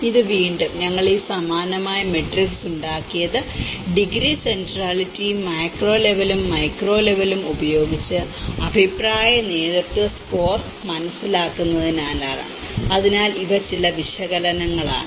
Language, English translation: Malayalam, And this is again, we made this similar matrix to understand the opinion leadership score with the degree centrality and with both as a macro level and the micro level so, these are some of the analysis